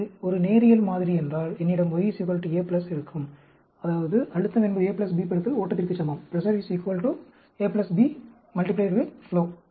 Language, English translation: Tamil, So, if it is a linear model, I will have y equal to A plus, that is, pressure is equal to A plus B into flow